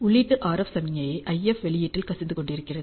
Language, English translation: Tamil, You have an input RF signal leaking into the IF output